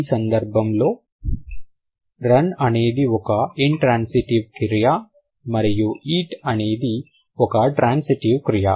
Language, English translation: Telugu, So, in this case, run is an intransitive verb and eat is a transitive verb